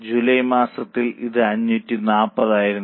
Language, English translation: Malayalam, So, you can compare in the month of July it was 540